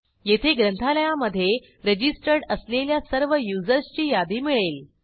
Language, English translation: Marathi, Here, we get the list of all the users who have registered in the library